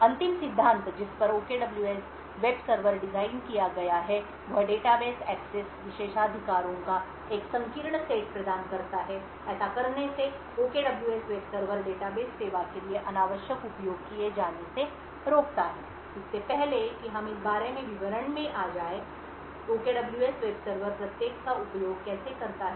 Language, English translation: Hindi, The last principle over which OKWS web server is designed is that it provides a narrow set of database access privileges, by doing this the OKWS web server prevents unrequired access to the database service, before we go into details about how the OKWS web server uses each of these design rules we would require two fundamental aspects about unique systems